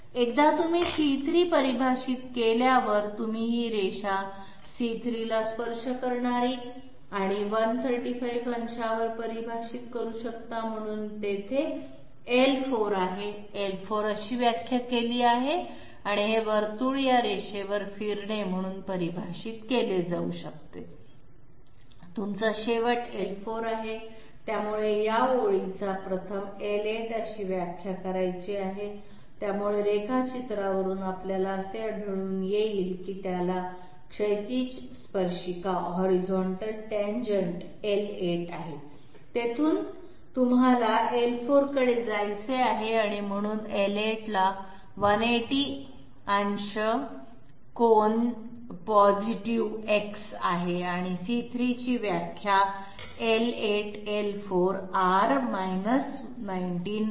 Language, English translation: Marathi, Once you define C3, you can define this line to be touching C3 and at 135 degrees, so there is L4, L4 is defined that way and this circle can be defined as moving along this line, you end up in L4, so this line has to be 1st defined as L8, so from the drawing we find that it has a horizontal tangent L8, from there you want to move to L4 and therefore, L8 is having 180 degrees angle with positive X and C3 is defined as L8, L4 R 19